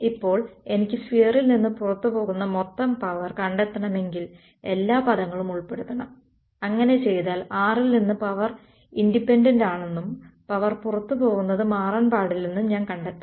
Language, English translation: Malayalam, Now if I want to find out the total power leaving the sphere I should include all the terms right, if I do that I will find out that the power is independent of r and that makes the physical sense the I want power leaving at right should we will not change